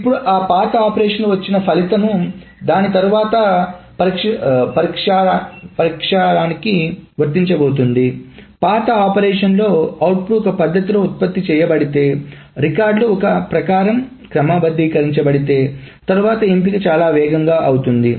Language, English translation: Telugu, Now in that old operation after which the selection is going to be applied in that old operation if the output is produced in the manner where the records are sorted according to A, then the subsequent selection on A becomes much faster